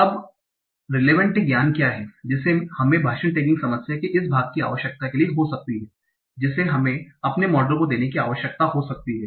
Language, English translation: Hindi, Now, what is the relevant knowledge that we might need for this part of speech tracking problem that we might need to give to our models